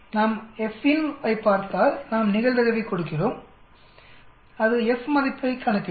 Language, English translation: Tamil, If we look at FINV, we give the probability and it will calculate the F value